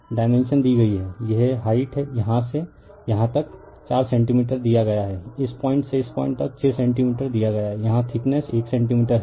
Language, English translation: Hindi, The dimension is given this height from here to here it is given 4 centimeter from this point to this point it is given 6 centimeter and here the thickness is 1 centimeter